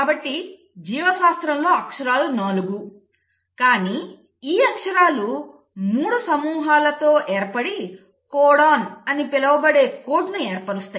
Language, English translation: Telugu, Now each, so in biology the alphabets are 4, but these alphabets arrange in groups of 3 to form a code which is called as the “codon”